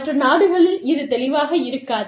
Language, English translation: Tamil, In other countries, this will not be, as clear